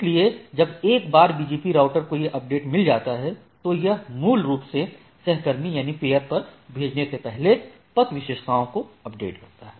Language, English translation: Hindi, So, once a BGP router receives a this update then, while updating the things it can basically update the path attributes before transmitting it to the peer